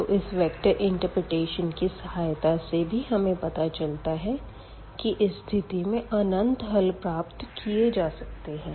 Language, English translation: Hindi, So, from the vector interpretation as well we can see that there are infinitely many solutions in such cases